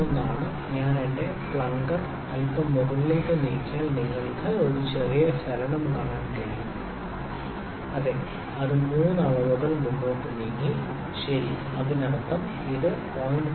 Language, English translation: Malayalam, 01 is if I move my plunger a little above you can see a little movement yeah, it has moved three readings forward, ok; that means, it had moved 0